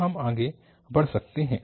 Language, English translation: Hindi, So, we can proceed further